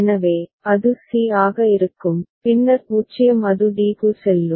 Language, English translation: Tamil, So, it will remain that c, then 0 it goes to d